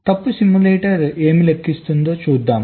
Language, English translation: Telugu, so what the fault simulator computes